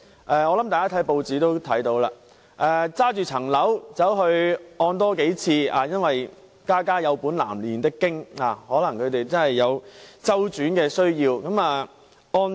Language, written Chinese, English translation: Cantonese, 大家應該曾在報章看到一些個案，事主把物業進行多次按揭，因為"家家有本難唸的經"，他可能確實有周轉需要。, Members should have read in newspapers about some cases in which a person has mortgaged his property a number of times because of their difficulties and circumstances . Moreover he might really have cash flow needs